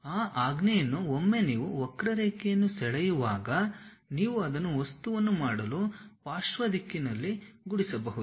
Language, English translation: Kannada, Using that command once you draw a curve you can really sweep it in lateral direction to make the object